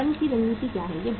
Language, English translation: Hindi, Now what is the strategy of the firm